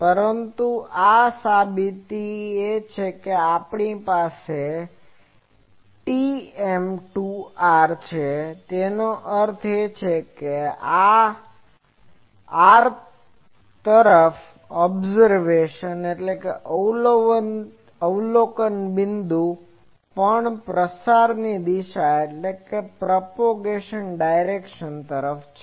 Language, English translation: Gujarati, But this is the proof that we have TM to r; that means, to the r is the observation point also the propagation direction